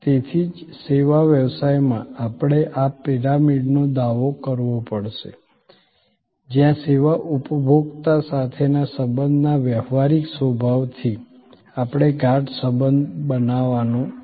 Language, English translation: Gujarati, So, that is why in service business, we have to claim this pyramid, where from transactional nature of relation with the service consumer, we have to create a deeper relationship